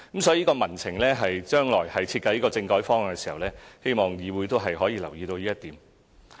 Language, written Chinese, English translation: Cantonese, 所以，將來在設計政改方案時，希望議會可以留意民情這一點。, Therefore I hope the legislature will consider the opinion of the general public when designing the constitutional reform proposals in the future